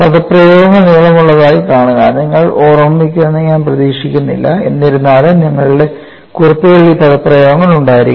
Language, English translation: Malayalam, See the expressions are long; I do not expect you to remember, but nevertheless your notes should have these expressions